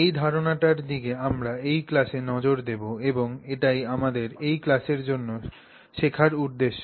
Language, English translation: Bengali, So, this is the idea that we will look at this class and this is the set of learning objectives that we have for the class